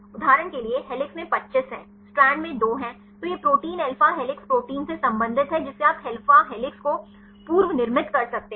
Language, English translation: Hindi, For example, helix has 25, strand has 2 then this protein belongs to the alpha helix protein you can predominate the alpha helix